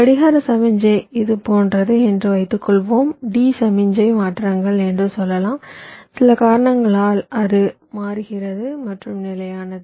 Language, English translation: Tamil, so when the clock becomes zero, like what i am saying, is that suppose my clock signal is like this and lets say, my d signal changes, because of some reason it changes and it remains stable like that